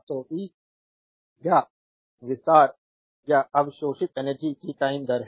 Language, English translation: Hindi, So, power is the time rate of a expanding or a absorbing energy